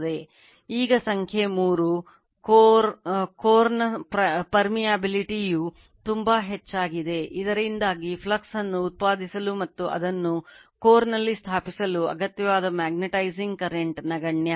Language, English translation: Kannada, Now number 3, the permeability of the core is very high right so, that the magnetizing current required to produce the flux and establish it in the core is negligible right